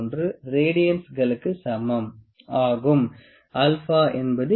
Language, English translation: Tamil, 00133 radians, ok